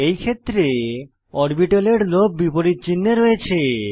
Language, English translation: Bengali, In this type of overlap, lobes of orbitals are of opposite sign